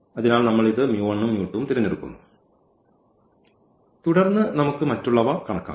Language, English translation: Malayalam, So, we have chosen this mu 1 and mu 2 and then we can compute the others